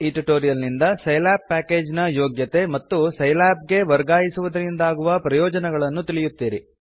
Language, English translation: Kannada, In this tutorial you will come to know some of the capabilities of the Scilab package and benefits of shifting to Scilab